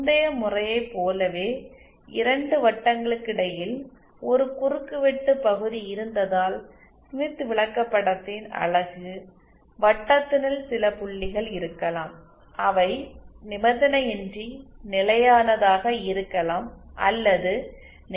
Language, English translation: Tamil, Like in the previous case where there was a intersection region between two circles there could be some points with in the unit circle of the smith chart which could be stable unconditionally or which could be potentially stable unstable